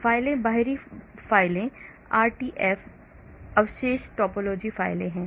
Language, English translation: Hindi, There are files, external files RTF, residue topology files